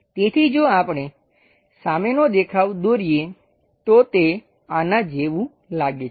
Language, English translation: Gujarati, So, if we are drawing frontal view is supposed to look like this one